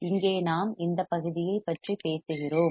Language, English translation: Tamil, Here the we are just talking about this part